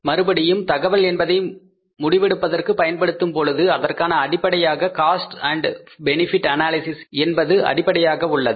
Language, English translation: Tamil, Again, while making the use of this information for decision making, again the basis of decision making will be the cost and benefit analysis